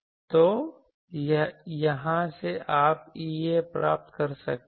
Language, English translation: Hindi, So, from here you can get E A